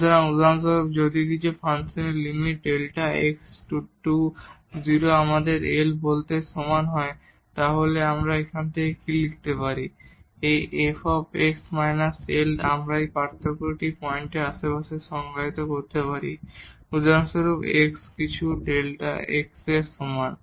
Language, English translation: Bengali, So, if for example, the limit delta x goes to 0 of some function is equal to let us say L then what we can write down out of it that this f x minus L we can define this difference in the neighborhood of point x is equal to some epsilon for example